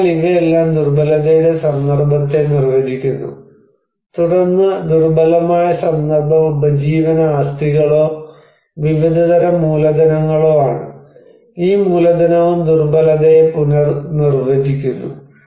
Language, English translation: Malayalam, So, these all define vulnerability context and then the vulnerability context also is livelihood assets or the various kind of capital and this capital also is redefining the vulnerability